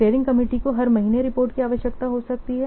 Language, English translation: Hindi, So steering committee may be they will require the reports on every month